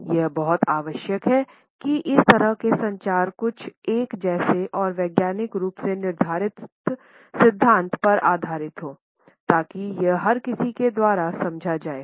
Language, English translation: Hindi, It is very much necessary that such communication is based on certain uniform and scientifically laid down principles so that it is understood by everybody in the same sense